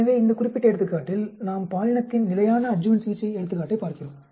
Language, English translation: Tamil, So, in this particular example, we are looking at the gender standard adjuvant therapy example